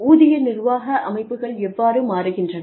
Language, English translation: Tamil, How are, the salary administration systems, changing